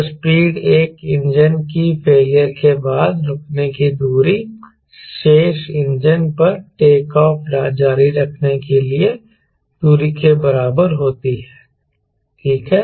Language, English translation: Hindi, the speed at which the distance to stop after one engine failure exactly equal the distance to continue takeoff on the remaining engine, right